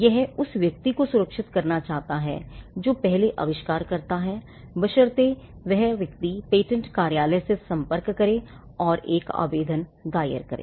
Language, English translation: Hindi, It wants to safeguard a person who invents first provided that person approaches the patent office and files an application